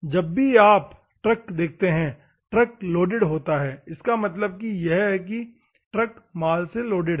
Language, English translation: Hindi, Whenever you see the truck, the truck is loaded; that means, that truck is loaded with goods